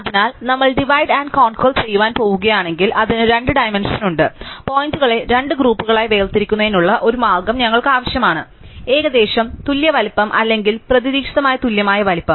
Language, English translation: Malayalam, So, it two dimensions if we are going to use divide and conquer, we need a way of separating the points into two groups, of roughly equal size or a hopefully exactly equal size